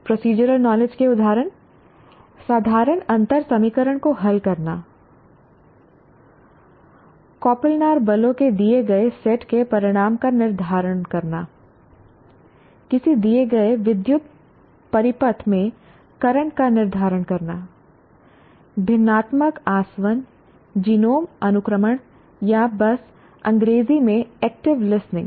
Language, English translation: Hindi, Examples of procedural knowledge, solving ordinary differential equation, determining the result of a given set of coplanar forces, determining the determining current in a given electric circuits, fractional distillation, genome sequencing are simply in English active listening